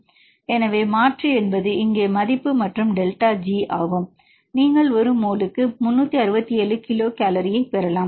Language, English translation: Tamil, So, substitute is value here and delta G, you can get 367 kilo cal per mole